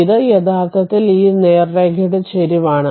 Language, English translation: Malayalam, This is actually slope of this straight line